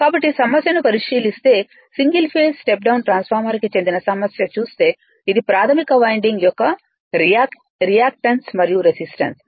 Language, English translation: Telugu, So, if you look into the problem, if you look into the problem that a single phase step down transform this is the resistance and reactance of the primary winding all these given